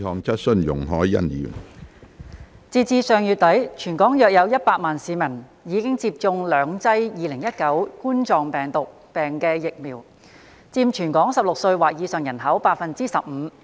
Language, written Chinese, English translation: Cantonese, 截至上月底，全港約有100萬名市民已接種兩劑2019冠狀病毒病疫苗，佔全港16歲或以上人口百分之十五。, As at the end of last month there were about 1 million members of the public in the territory who had received two doses of vaccines against the Coronavirus Disease 2019 accounting for 15 % of the local population aged 16 or above